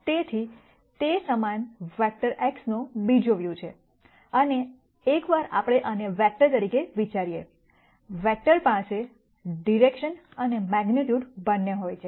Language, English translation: Gujarati, So, this is another view of the same vector X and once we think of this as a vec tor then, vector has both direction and magnitude